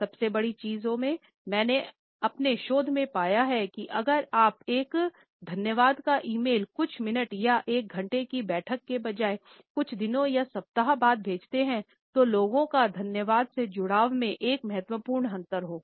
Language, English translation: Hindi, One of the greatest things, I found in my research is that if you send a thank you e mail within a few minutes or an hour of the meeting versus a few days or week later there is a significant difference in how people feel connected to that thank you